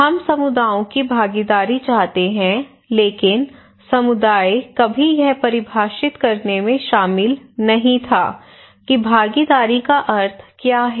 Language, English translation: Hindi, What is missing is that we are seeking communities participations but community had never been involved in defining what is the meaning of participations